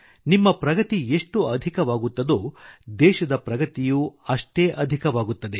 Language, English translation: Kannada, The more you progress, the more will the country progress